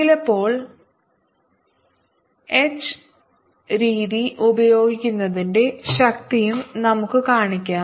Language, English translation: Malayalam, this also shows the power of using h method sometimes